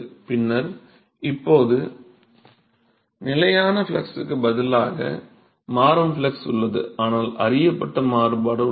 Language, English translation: Tamil, Then now instead of having constant flux we have a variable flux, but a known variability